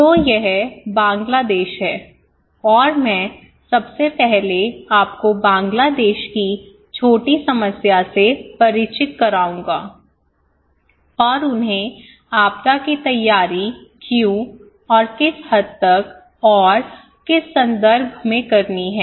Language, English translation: Hindi, So, this is Bangladesh, and I will first introduce to you the problem; a little problem in Bangladesh and why they need disaster preparedness and what extent and in which context okay